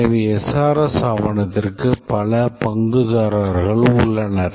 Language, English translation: Tamil, So, the SRS document is a very important document